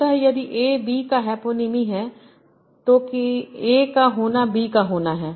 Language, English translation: Hindi, So if A is a hyponym of B, I will say being an A and tells being in B